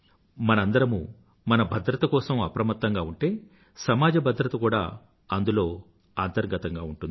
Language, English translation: Telugu, If all of us become conscious and aware of our own safety, the essence of safety of society will be inbuilt